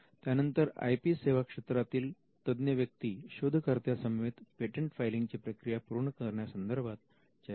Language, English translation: Marathi, Then the IP service professionals interact with inventors to finalize and file the patent